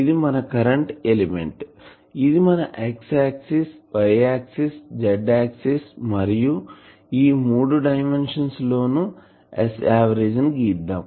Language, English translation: Telugu, So, this is our current element this now let us say this is our y axis, this is our x axis, this is our z axis and in this three dimension we will plot this S average